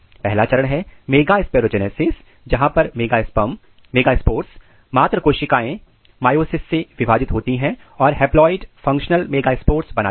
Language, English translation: Hindi, The first stage is megasporogenesis, where megaspore mother cells divides through the meiosis to generate haploid functional megaspores